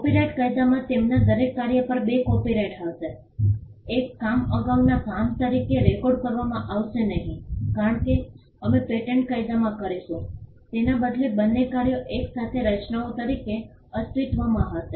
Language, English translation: Gujarati, In copyright law there will be two copyrights over each of their work one work will not be recorded as a prior work as we would do in patent law rather both the works will exist as simultaneous creations